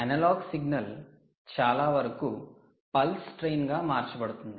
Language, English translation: Telugu, now the analogue signal here is converted to a pulse train